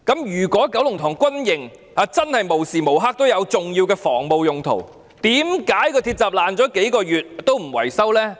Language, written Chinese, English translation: Cantonese, 如果九龍塘軍營真的無時無刻也有重要的防務用途，為何鐵閘損毀數月仍不維修呢？, If the Kowloon Tong barrack is really serving important defence purposes all the time why it happens that the gate has yet to be repaired several months after it was broken?